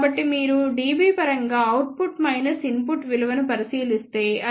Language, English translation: Telugu, So, if you just look at output minus input in terms of dB then it comes out to be 25